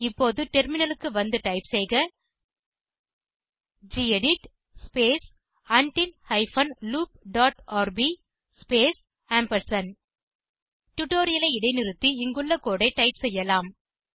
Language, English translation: Tamil, Now let us switch to the terminal and type gedit space redo hyphen loop dot rb space You can pause the tutorial, and type the code as we go through it